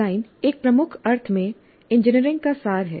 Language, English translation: Hindi, Design in a major sense is the essence of engineering